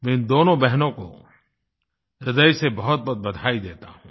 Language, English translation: Hindi, Many congratulation to these two sisters